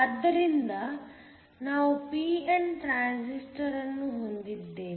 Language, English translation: Kannada, So, we have a pnp transistor